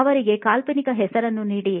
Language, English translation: Kannada, Give them a fictional name